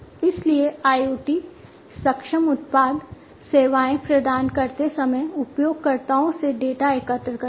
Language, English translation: Hindi, So, IoT enabled products collect data from the users, while providing services